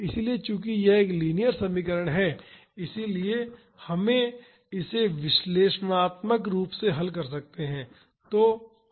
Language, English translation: Hindi, So, since this is a linear equation we can solve it analytically